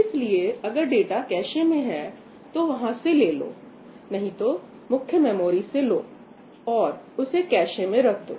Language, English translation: Hindi, So, if data is in cache, get from cache otherwise get data from main memory and store it in the cache